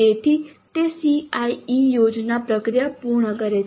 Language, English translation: Gujarati, So that completes the CIE plan process